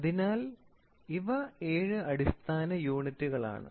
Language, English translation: Malayalam, So, these are the seven basic units